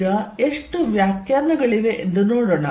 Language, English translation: Kannada, Now, let us see how many definitions are there